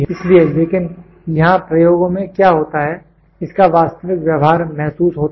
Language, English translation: Hindi, So, but here what happens in the experiments the true behaviour is realized